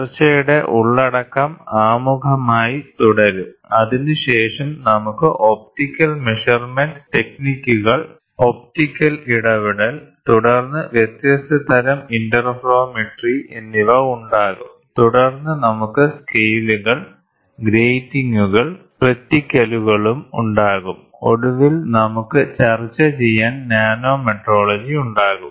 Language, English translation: Malayalam, So, the content of discussion is going to be introduction followed by it we will have optical measurement techniques, optical interference, then different types of interferometry and then we will have scales, gratings, and reticles, then finally we will have Nanometrology to discuss